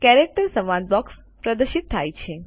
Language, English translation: Gujarati, The Character dialog box is displayed